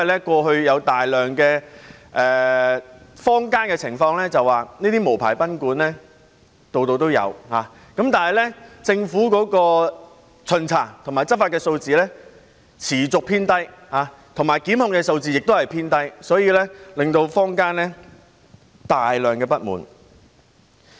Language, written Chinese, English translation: Cantonese, 過去有大量的情況是，這些無牌賓館坊間四處也有，但政府巡查和執法的數字持續偏低，而檢控數字亦偏低，所以坊間出現大量不滿。, There were many cases in the past that these unlicensed guesthouses could be found all over Hong Kong but the Governments inspection enforcement and prosecution figures were on the low side thus the community was highly dissatisfied with the situation